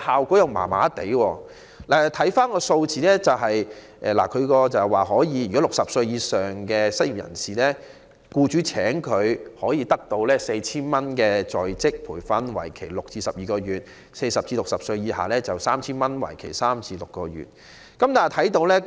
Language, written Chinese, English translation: Cantonese, 根據有關數字，如僱主聘用60歲以上的失業人士，可獲得 4,000 元的在職培訓津貼，為期6至12個月；如聘用40歲至60歲以下的失業人士，則可獲得 3,000 元的在職培訓津貼，為期3至6個月。, According to the relevant numbers employers engaging unemployed persons aged 60 or above can receive an on - the - job training allowance of 4,000 for six to 12 months; and they can receive an on - the - job training allowance of 3,000 for three to six months for engaging unemployed persons aged between 40 and 60 . Over the past few years ie